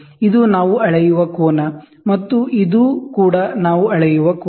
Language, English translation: Kannada, This is the angle which we measure, and this is also the angle which we measure, right